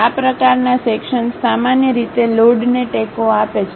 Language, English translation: Gujarati, These kind of sections usually supports loads